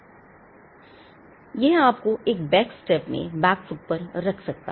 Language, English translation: Hindi, Now, that may put you in a back step, in an on the back foot